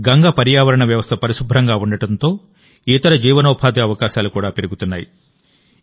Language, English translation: Telugu, With Ganga's ecosystem being clean, other livelihood opportunities are also increasing